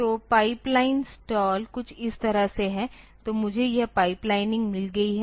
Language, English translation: Hindi, So, pipeline stall is something like this, that so, I have got this pipelining